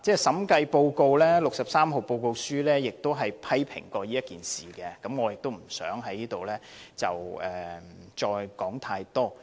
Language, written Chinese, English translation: Cantonese, 《審計署署長第六十三號報告書》亦曾批評此事，我亦不想在此再多說。, The Director of Audits Report No . 63 has made comments on this issue I am not going to make any further elaboration here